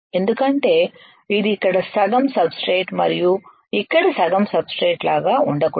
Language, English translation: Telugu, Because it should not be like half of the substrate here and half the substrate here